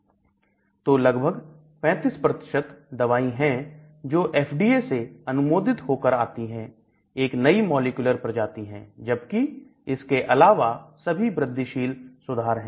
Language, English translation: Hindi, So about only 35 percent of the drugs that come into FDA approval or new molecular species whereas rest of them are incremental improvements well